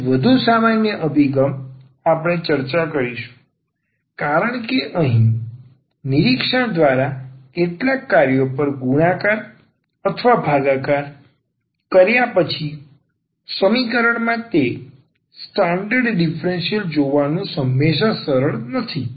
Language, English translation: Gujarati, Slightly more general approach we will discuss because here by inspection it is not always easy to see the those standard differentials in the equation after multiplying or dividing by some functions